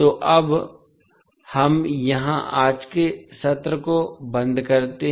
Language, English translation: Hindi, So now, we close the today's session here